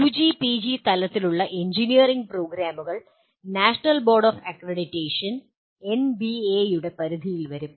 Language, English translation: Malayalam, The engineering programs, both at UG and PG level come under the purview of National Board of Accreditation NBA